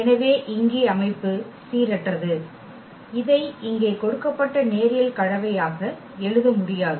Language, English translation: Tamil, So, here the system is inconsistent and we cannot write down this as linear combination given there